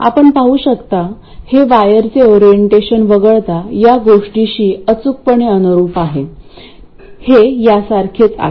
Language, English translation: Marathi, You can see it conforms exactly to this except for the orientation of the wires and so on